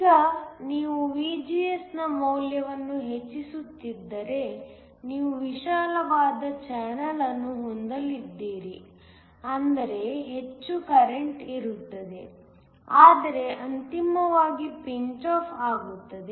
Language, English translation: Kannada, Now, if you keep increasing the value of VGS then you are going to have a wider channel, which means there will be more current, but eventually there will be pinch off